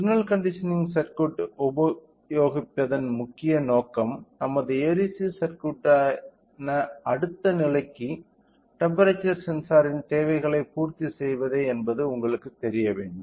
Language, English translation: Tamil, So, the main intention you know the use of signal conditioning circuit is in order to meet the requirements of the temperature sensor to the next stage which is our ADC circuit